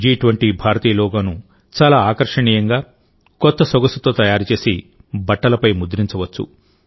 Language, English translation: Telugu, The Indian logo of G20 can be made, can be printed, in a very cool way, in a stylish way, on clothes